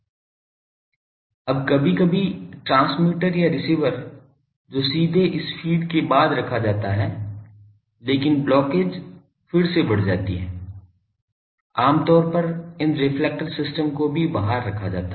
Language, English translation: Hindi, Now, sometimes the transmitter or receiver that is directly put after this feed, but then the blockage again increases also generally these reflector system are put in the outside